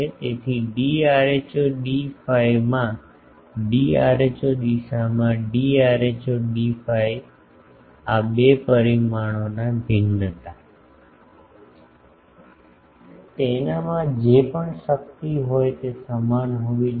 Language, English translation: Gujarati, So, in d rho d phi direction in d rho in an steep consisting of d rho d phi its variation of these two parameters, whatever power is there that should be equal